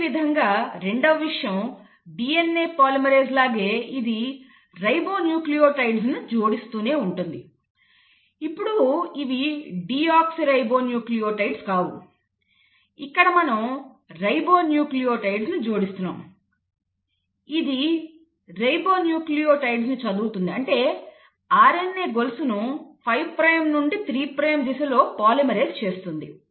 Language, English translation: Telugu, Now just like DNA polymerase, it needs a template to read, the first thing, second just like DNA polymerase it will keep on adding the ribonucleotides; now these are not deoxyribonucleotides, here you are bringing in the ribonucleotides; it will read the ribonucleotides, or it will polymerise the chain of RNA in the 5 prime to 3 prime direction